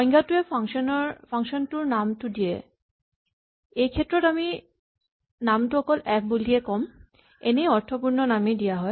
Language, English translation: Assamese, So the definition defines the name of function, in this case we have just called it f usually we would give it more meaningful names